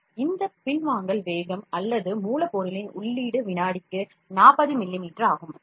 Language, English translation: Tamil, So, this retraction speed or feeding of the raw material is 40 millimeters per second